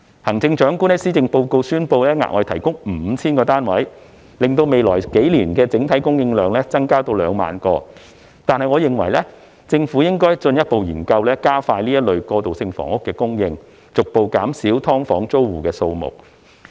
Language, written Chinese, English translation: Cantonese, 行政長官在施政報告宣布額外提供 5,000 個單位，令未來數年的整體供應量增至2萬個，但我認為政府應進一步研究加快過渡性房屋的供應，逐步減少"劏房"租戶的數目。, While the Chief Executive announced in her policy address that 5 000 additional transitional housing units would be provided bringing the overall supply to 20 000 in the next few years I think the Government should further explore ways to expedite the supply of transitional housing and gradually reduce the number of SDU tenants